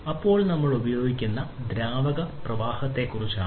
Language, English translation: Malayalam, Then we if we are talking about fluid flow